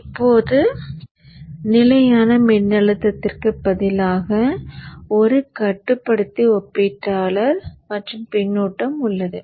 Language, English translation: Tamil, Now instead of the constant voltage we are now having a controller, a comparator and the feedback